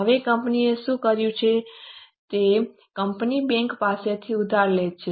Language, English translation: Gujarati, Now next what company has done is, company borrows from bank